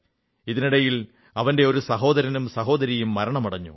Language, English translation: Malayalam, Meanwhile, one of his brothers and a sister also died